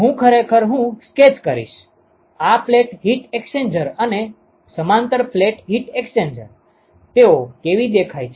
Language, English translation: Gujarati, I will actually I will sketch, how these plate heat exchangers and a parallel plate heat exchangers, how they look like